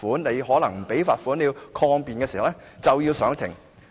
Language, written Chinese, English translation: Cantonese, 如果你不繳交罰款和要抗辯，便須上庭。, If you refuse to pay the fine and seek to defend your case you have to appear in court